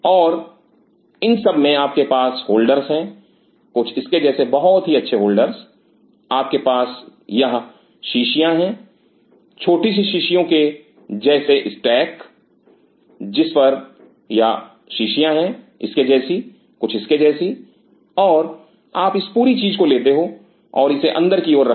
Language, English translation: Hindi, And in these you have holders something like this very nice holder, in these kinds of holders you have these wiles small wiles kind of stack those wiles on this, like this, something like this and you take this whole thing and keep it inside